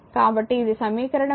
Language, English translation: Telugu, So, equation 1